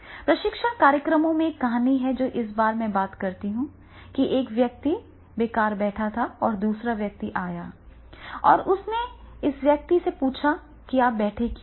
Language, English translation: Hindi, Number of stories are there in the training programs in which the one person was sitting idle under the tree and the another person came and asked him why you are sitting like this and then what should I do